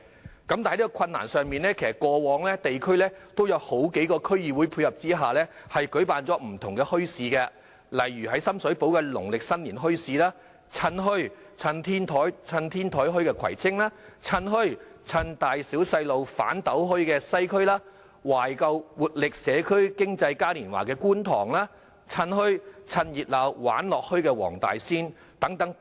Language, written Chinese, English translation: Cantonese, 不過，即使非常困難，過往在數個區議會的配合下，亦曾舉辦了不同類型的墟市，例如深水埗的農曆新年墟市、葵青的"趁墟.趁天台墟"、西區的"趁墟.趁大小細路'反'斗墟"、觀塘的"懷舊 x 活力社區經濟嘉年華"、黃大仙的"趁墟.趁熱鬧玩樂墟"等。, But in spite of the difficulties different types of bazaars have been held with the cooperation of a few DCs . Some examples include the Lunar New Year Bazaar in Sham Shui Po the Kwai Chung Rooftop Bazaar in Kwai Tsing the WesternDisMarket in the Western District the Kwun Tong Market in Kwun Tong and the Wong Tai Sin Market in Wong Tai Sin